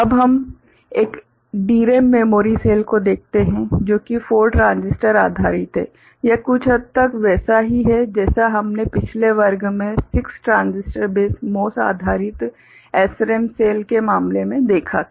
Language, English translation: Hindi, Now, we look at one DRAM memory cell, which is 4 transistor based; it is somewhat similar to what we had seen in case of 6 transistor base MOS based SRAM cell in the last class